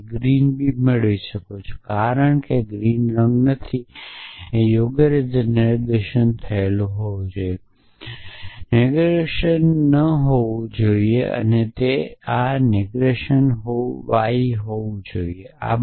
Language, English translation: Gujarati, And this I can get similarly green b or not green c is that correct this should be negation here right and these should not be negation and this should be negation y